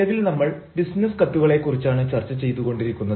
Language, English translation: Malayalam, we have already talked about the principles of business letters